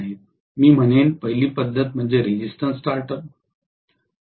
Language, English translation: Marathi, The first method I would say is resistance starter